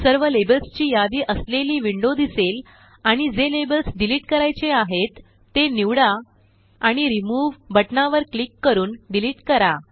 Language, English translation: Marathi, A window with all the labels listed will appear and the labels that need to be deleted can be selected and deleted by clicking on Remove button